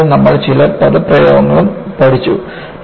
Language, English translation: Malayalam, And, we also learned some jargons